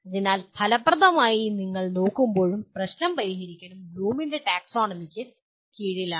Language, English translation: Malayalam, So in that case we are also effectively looking at that is problem solving is also subsumed under Bloom’s taxonomy